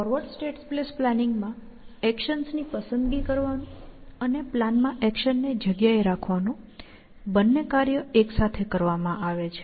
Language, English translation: Gujarati, In forward state space planning, the twin task of choosing actions and placing actions in the plan are done simultaneously